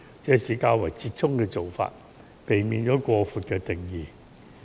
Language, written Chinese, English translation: Cantonese, 這是較為折衷的做法，避免將婚姻的定義訂得過闊。, It was a compromise which avoided expanding the definition for marriage